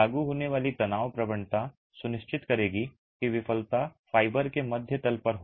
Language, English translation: Hindi, The stress gradient that is applied will ensure failure occurs at the bottom fiber mid span